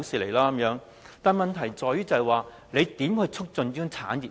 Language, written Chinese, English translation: Cantonese, 但是，問題是當局如何促進這個產業呢？, However how does the Government promote this industry?